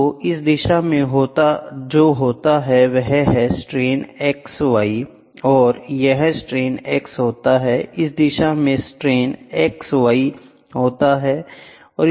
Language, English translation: Hindi, So, what happens in this direction is strain y x and here what happens is strain x and what happens in this direction is strain x y, ok